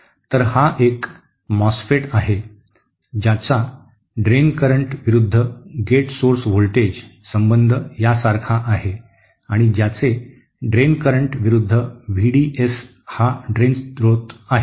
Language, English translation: Marathi, (Refer SlideTime: So this is a MOSFET whose drain current versus gate source voltage relationship is like this and whose drain current versus V D S that is drain source